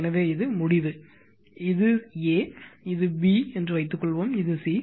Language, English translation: Tamil, So, this is your end, this is your A, suppose this is your B, this is your C